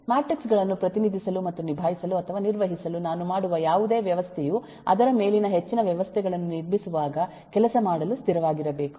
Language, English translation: Kannada, that is, whatever I make of a system to represent and manipulate matrices must be stable to work when I build up more systems on that